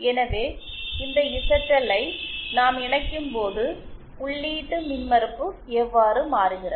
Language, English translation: Tamil, So, when we connect this zl, how does the input impedance change